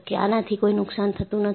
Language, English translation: Gujarati, And, no harm will be done